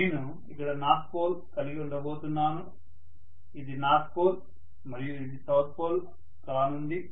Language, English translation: Telugu, So I am going to have North pole here, this is North pole and this is going to be South pole, right